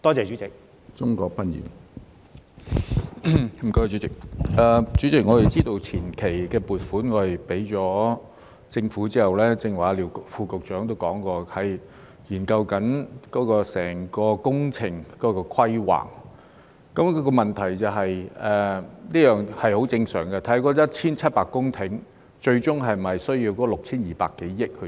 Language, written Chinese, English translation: Cantonese, 主席，我們知道向政府批出前期撥款後，正如廖副局長剛才也提及，現時正在研究整個工程的規劃，這是十分正常的，研究那1700公頃最終是否需要 6,200 多億元的撥款。, President we understand that after granting upfront funding to the Government as Under Secretary LIU also mentioned earlier on studies are being carried out on the planning of the entire project and this is normal as it is necessary to look into whether those 1 700 hectares of land will ultimately require provisions amounting to some 620 billion